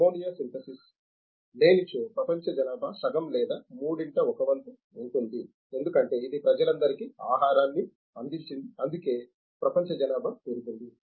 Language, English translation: Telugu, If ammonia synthesis where not to be there, world population will be one half or one third, because it has provided the food for all the people, that is why world population has increased